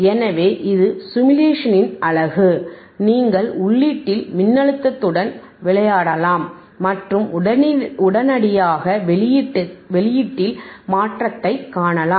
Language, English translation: Tamil, So, that is the beauty of stimulation, that you can play with the voltage othe at rthe input and immediately you can see the changinge in the output